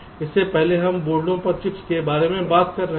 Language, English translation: Hindi, it earlier we have talking about chips on the boards